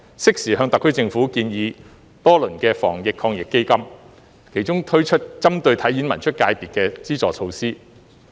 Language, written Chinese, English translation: Cantonese, 適時向特區政府建議多輪的防疫抗疫基金，其中推出針對"體演文出"界別的資助措施。, I have proposed to the SAR Government to implement timely measures under the several rounds of the Anti - epidemic Fund including measures to provide financial support to the sports performing arts culture and publication sectors